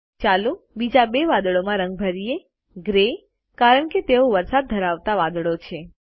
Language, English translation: Gujarati, Lets color the other two clouds, in gray as they are rain bearing clouds